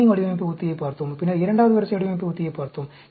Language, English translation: Tamil, We looked at the, the screening design strategy; then, we looked at the second order design strategy